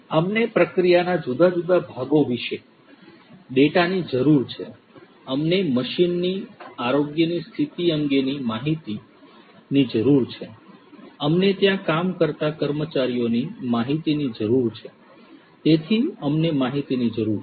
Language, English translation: Gujarati, We need data about different parts of the process, we need data about the health condition of the machines, we need data about the workforce the employees that are working and so on